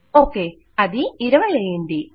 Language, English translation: Telugu, Okay, so that will be 20